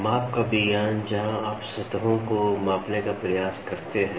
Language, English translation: Hindi, A science of measurement where and which you try to measure surfaces